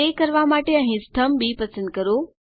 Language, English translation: Gujarati, To do that select the column B here